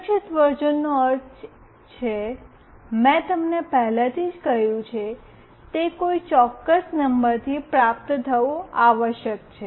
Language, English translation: Gujarati, Secure version means, I have already told you, it must receive from some particular number